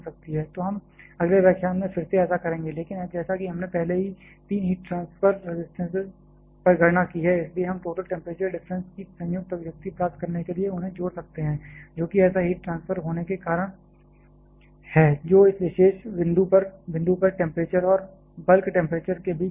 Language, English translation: Hindi, So, we shall be doing that in the next lecture again, but as we have already calculated on the three heat transfer resistances so, we can also combine them to get a combined expression of total temp temperature difference that is the reason for having such a heat transfer which is the difference between the temperature at this particular point and the bulk temperature